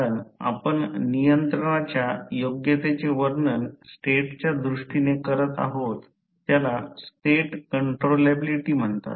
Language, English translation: Marathi, Because you are defining controllability in terms of state it is called as state controllability